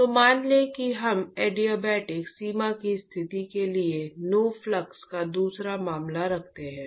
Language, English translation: Hindi, So, let us say that we put the second case of no flux for adiabatic boundary condition